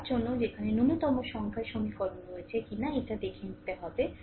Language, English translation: Bengali, Actually question is that you have to see that where you have a minimum number of equation